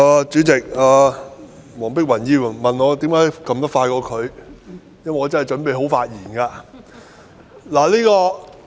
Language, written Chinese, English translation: Cantonese, 主席，黃碧雲議員問我為甚麼按鈕會按得較她快，因為我真的準備好發言。, President Dr Helena WONG asked me why I managed to press the button before she did . It was because I am indeed prepared to speak